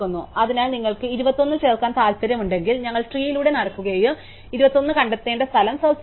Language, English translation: Malayalam, So, for instance if you want to insert 21, then we will walked down the tree and we will look for the place where we should find 21